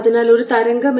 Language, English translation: Malayalam, so this distance is a